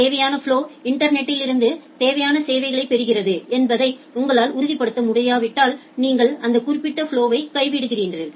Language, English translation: Tamil, If you do not able to ensure that the required flow get the required services from the internet, then you simply drop that particular flow